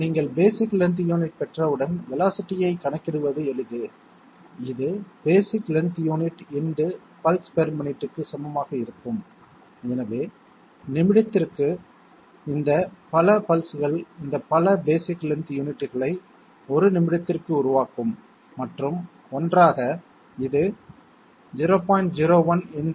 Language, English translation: Tamil, Velocity has is easy to calculate once you have got the basic length unit, it is simply equal to basic length unit into pulses per minute okay, so these many pulses per minute will produce these many basic length units per minute and together this will be 0